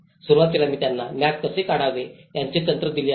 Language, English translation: Marathi, Initially, I have given them techniques of how to draw the maps